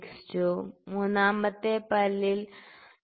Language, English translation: Malayalam, 62 in the third tooth 3